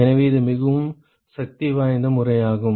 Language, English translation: Tamil, So, that is a very powerful method